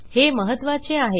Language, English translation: Marathi, That becomes significant